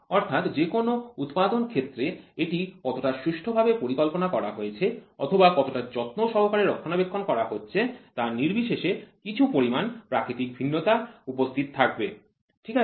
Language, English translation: Bengali, So, in any manufacturing process regardless of how well it is designed or how carefully it is maintained a certain amount of natural variability will be existing, ok